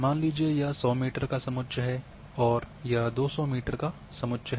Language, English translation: Hindi, So, suppose this is one 100 meter contour this is 200 meter contour